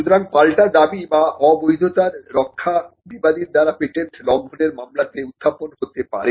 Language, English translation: Bengali, So, a counterclaim or the defense of invalidity can be raised in a patent infringement suit by the defendant